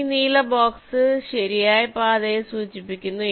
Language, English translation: Malayalam, this blue box indicates the path